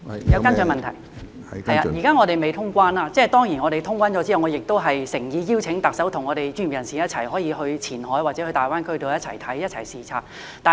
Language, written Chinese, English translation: Cantonese, 現在我們尚未通關，待通關後，我誠意邀請特首與專業人士一起到前海或大灣區看看，一起視察。, At present cross - boundary travel has not resumed yet; after its resumption I will sincerely invite the Chief Executive to go to Qianhai or GBA with our professionals on a duty visit